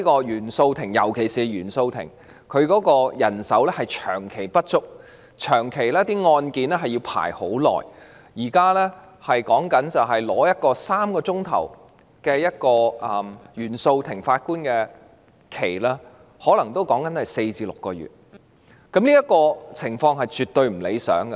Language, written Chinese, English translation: Cantonese, 尤其是原訟法庭長期人手不足，案件排期很久，例如現在要向一位法官申請3小時的排期，可能要等候4至6個月，這個情況絕對不理想。, In particular there has been a long - standing shortfall of manpower in the Court of First Instance CFI for a long time thereby resulting in lengthy case listing time . For instance it is now necessary to wait for four to six months after applying for a three - hour session with a Judge a situation which is absolutely undesirable